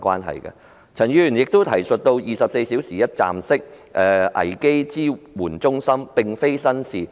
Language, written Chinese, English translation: Cantonese, 陳議員亦建議當局設立24小時一站式危機支援中心，這並非新鮮事。, Dr CHAN has also proposed the setting up of a 24 - hour one - stop crisis support centre which is nothing new